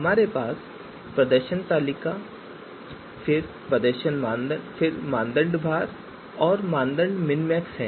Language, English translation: Hindi, So we have performance table then criteria weights and criteria minmax